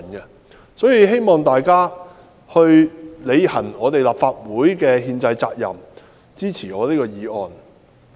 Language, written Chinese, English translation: Cantonese, 因此，我希望大家履行立法會的憲制責任，支持我的議案。, Hence I hope Members will fulfil the constitutional duty of the Legislative Council and support my motion